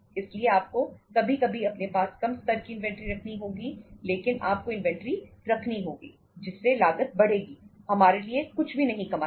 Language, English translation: Hindi, So you have to sometime you can keep a low level of inventory but you have to keep inventory which will increase the cost, will not earn anything for us